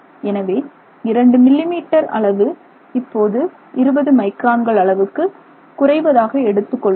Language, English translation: Tamil, So, something you started with that 2 millimeter becomes say 20 microns